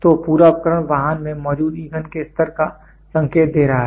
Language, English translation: Hindi, So, the entire device is indicating the level of fuel present in the vehicle